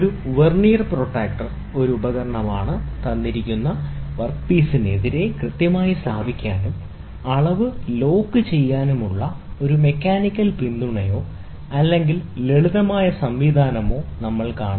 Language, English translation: Malayalam, A Vernier protractor is an instrument, we will see, provided with a mechanical support or simply mechanism to position them accurately against a given work piece and lock the reading